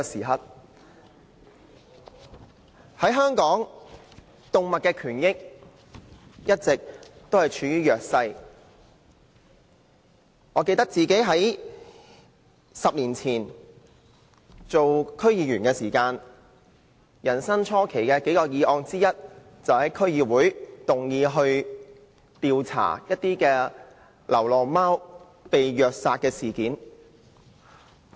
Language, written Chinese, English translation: Cantonese, 香港的動物權益一直處於弱勢，記得我10年前出任區議員時，最初期的工作之一，便是在區議會會議上動議調查流浪貓被虐殺事件的議案。, Animal rights have always been neglected in Hong Kong . I remember that when I became a District Council member 10 years ago one of my earliest tasks at the District Council was to move a motion on investigating the abuse and killing of stray cats